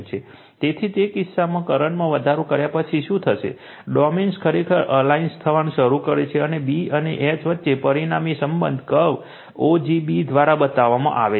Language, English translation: Gujarati, So, in that case, what will happen after going on increasing the current right, the domains actually begins to align and the resulting relationship between B and H is shown by the curve o g b right